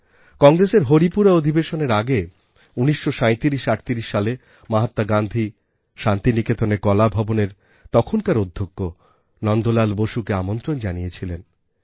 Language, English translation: Bengali, Before the Haripura Session, in 193738, Mahatma Gandhi had invited the then Principal of Shantiniketan Kala Bhavan, Nandlal Bose